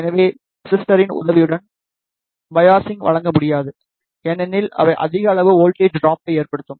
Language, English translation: Tamil, So, the biasing cannot be provided with the help of resistor because they will result in voltage drop of high amount